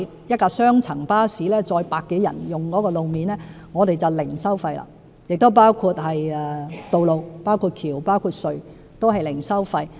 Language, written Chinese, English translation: Cantonese, 一輛雙層巴士可載客百多人，所以使用路面時便獲提供零收費優惠，包括道路、橋和隧道均是零收費。, Since a double - decker bus can carry 100 - odd passengers it is granted the toll - free concession in road usage including roads bridges and tunnels